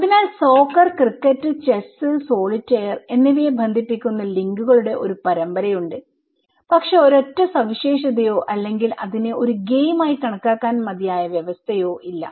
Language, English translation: Malayalam, So, there is a series of links that which connect soccer, cricket, chess and solitaire but there is no single feature or that is enough or sufficient condition to call it as a game, right